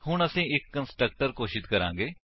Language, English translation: Punjabi, Now we will declare a constructor